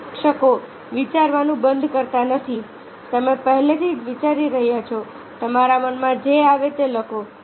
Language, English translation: Gujarati, do not stop to think you are already thinking right whatever comes to your mind